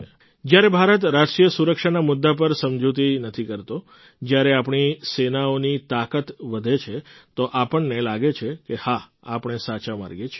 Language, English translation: Gujarati, When India does not compromise on the issues of national security, when the strength of our armed forces increases, we feel that yes, we are on the right path